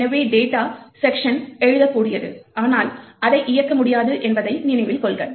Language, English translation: Tamil, So, note that the data segment is writable but cannot be executed